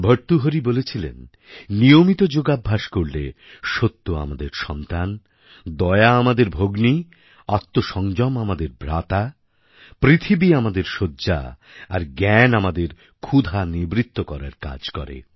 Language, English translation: Bengali, Bhartahari has said that with regular yogic exercise, truth becomes our child, mercy becomes our sister, self restraint our brother, earth turns in to our bed and knowledge satiates our hunger